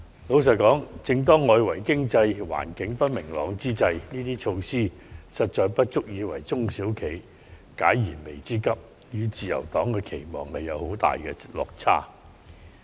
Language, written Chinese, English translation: Cantonese, 老實說，正當外圍經濟環境不明朗之際，這些措施實不足以為中小企解燃眉之急，與自由黨的期望有很大落差。, Frankly speaking these measures are grossly insufficient to address the pressing challenges facing SMEs under the external economic environment at present and they deviate significantly from the Liberal Partys expectations